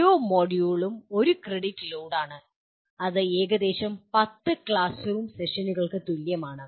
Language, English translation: Malayalam, Each module constitute one credit load which is approximately equal to, equivalent to about 10 classroom sessions